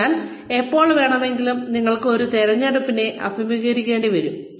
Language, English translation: Malayalam, So anytime, you are faced with a choice